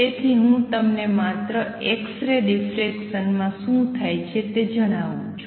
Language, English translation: Gujarati, So, the way it was explained we are on x ray diffraction